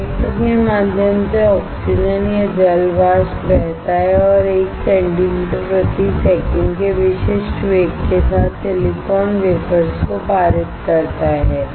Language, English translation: Hindi, Oxygen or water vapor flows through the reactor and pass the silicon wafers with typical velocity of 1 centimeter per second